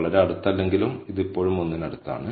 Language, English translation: Malayalam, Though not very close, but it is still closer to 1